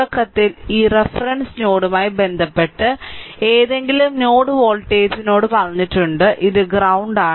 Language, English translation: Malayalam, At the beginning we have told any node voltage with respect to this reference node, this this is ground